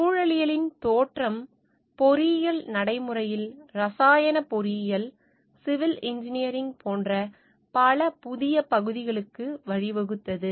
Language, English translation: Tamil, The emergence of ecology has given rise to the many new areas in engineering practice like chemical engineering, civil engineering etcetera